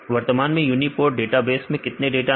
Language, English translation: Hindi, Currently how many data in the uniprot database